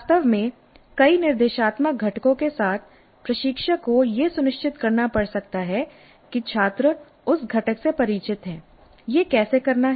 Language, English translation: Hindi, In fact with many of the instructional components the instructor may have to ensure that the students are familiar with that component